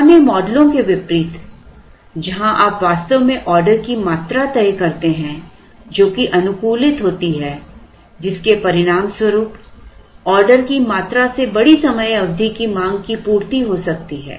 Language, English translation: Hindi, Unlike in the older models where you actually end up fixing an order quantity which is optimized which may result in the quantity being the demand of a larger time period